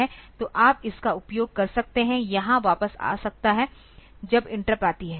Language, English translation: Hindi, So, it is you can use it can come back to this when the interrupt occurs